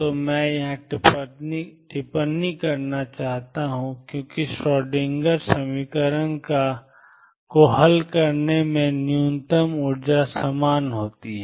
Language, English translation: Hindi, So, let me comment here since the minimum energy is the same as by solving the Schrödinger equation